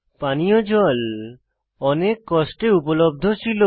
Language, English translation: Bengali, Drinking water was scarcely available